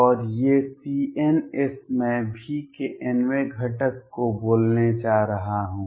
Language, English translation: Hindi, And these c ns I am going to call the nth component of v